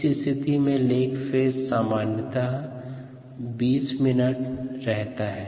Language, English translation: Hindi, the lag phase usually last twenty minutes